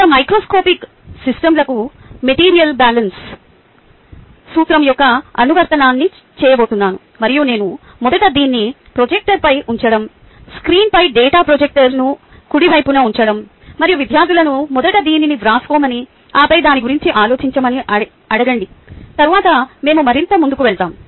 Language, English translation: Telugu, ok, i am going to do ah, an application of the material balance principle to macroscopic systems, and what i do first is to put this up on ah, the ah projector right the data projector on the screen, and ask: students should first take this down and then think about it, and then we will go further